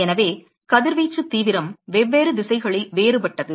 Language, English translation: Tamil, So, the radiation intensity is different in different direction